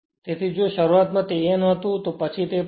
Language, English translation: Gujarati, So, if initially it was n, it will be it is it will be 0